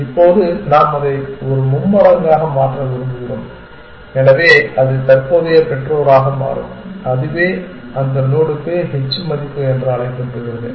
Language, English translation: Tamil, Now, we want to convert it into a triple, so it will become current parent and that is the call it h value for that node essentially